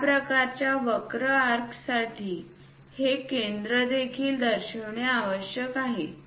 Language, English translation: Marathi, For this kind of curves arcs, it is necessary to show that center also